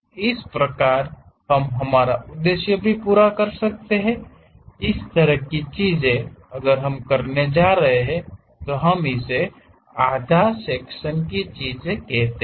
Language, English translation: Hindi, Thus, also serves the purpose; such kind of things if we are going to do, we call that as half section things